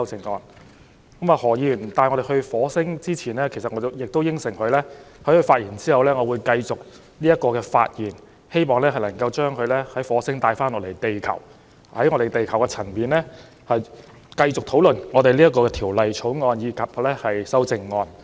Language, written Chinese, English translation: Cantonese, 在何議員把我們帶到火星前，我答應了會在他發言之後繼續發言，希望把大家從火星帶回地球，從地球層面繼續討論這項《條例草案》和修正案。, Before Mr HO brought us to Mars I undertook that I would speak after him in the hope that Members could be brought back from Mars to Earth so that we could continue to discuss this Bill and the amendments from the level of Earth